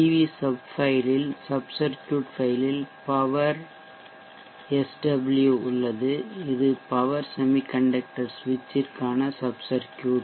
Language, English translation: Tamil, In the PV sub file, sub circuit file we have power SW these is the sub circuit for the power semi conductor switch